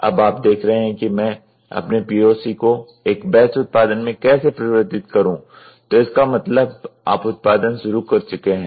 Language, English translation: Hindi, Now, you are looking for how do I convert my POC into a batch production then you are production has started